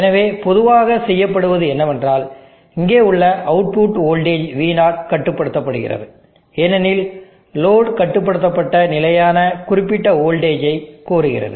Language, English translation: Tamil, So any general passive load here, so what is generally done is that, the voltage here the output voltage V0 is controlled, because the load demands a controlled fixed specified voltage